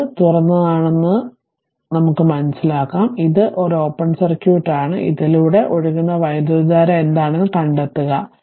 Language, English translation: Malayalam, So, question is that this this is open, ah this is your this is open right, so this is open open circuit, so find out what is the current flowing through this what is the current flowing through this